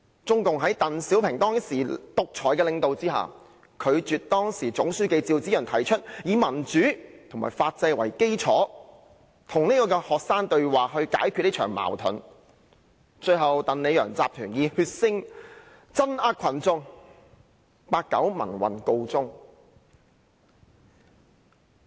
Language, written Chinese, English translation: Cantonese, 中共在鄧小平當時獨裁的領導下，拒絕時任總書記趙紫陽提出以民主和法制為基礎與學生對話來解決這場矛盾；最後，鄧、李、楊集團以血腥鎮壓群眾，八九民運告終。, Under the dictatorial leadership of DENG Xiaoping CPC refused the proposal of the then General Secretary ZHAO Ziyang for resolving the conflict by having dialogues with the students on the basis of democracy and the rule of law . The pro - democracy movement in 1989 eventually ended with a bloody crackdown ordered by the Deng Li and Yang clique